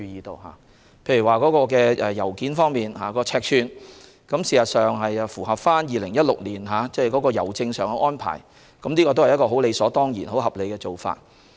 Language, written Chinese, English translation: Cantonese, 例如在郵件尺寸方面，作出相關修訂旨在符合香港郵政2016年起的新郵費結構，是理所當然及合理的做法。, For instance in respect of letter sizes it seemed both logical and reasonable to make amendments that seek to comply with the new postage structure adopted by HKPost since 2016